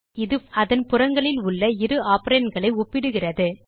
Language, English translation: Tamil, This operator compares the two operands on either side of the operator